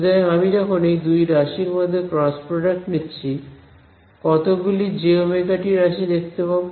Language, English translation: Bengali, So, when I take the cross product between these two quantities how many j omega t terms will you observe